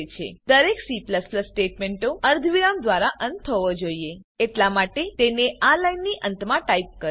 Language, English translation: Gujarati, Every C++ statement must end with a semicolon Hence type it at the end of this line